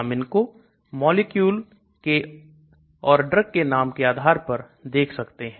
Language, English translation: Hindi, We can look at it based on the name of the molecule or the drug